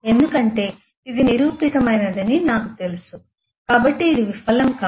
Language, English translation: Telugu, Because I know this is a proven one so this will not fail